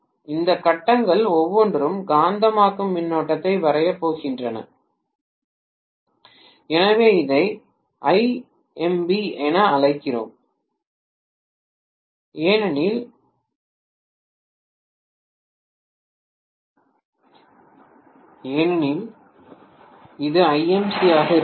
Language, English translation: Tamil, Each of these phases are going to draw magnetizing current so let me call this as Ima may be Imb may be Imc